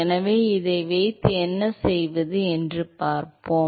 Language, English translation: Tamil, So, with this let us see what to do